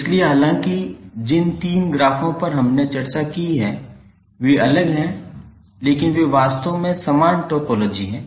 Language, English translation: Hindi, So although the three graphs which we discussed are different but they are actually the identical topologies